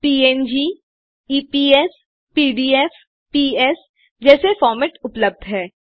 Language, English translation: Hindi, Formats like png ,eps ,pdf, ps are available